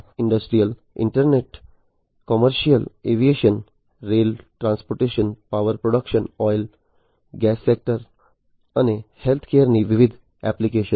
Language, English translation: Gujarati, Different applications of the industrial internet commercial aviation, rail transportation, power production, oil and gas sectors, and healthcare